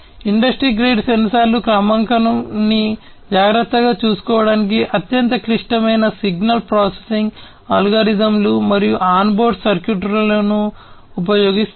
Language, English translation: Telugu, Industry grade sensors use highly complex signal processing algorithms and on board circuitry to take care of calibration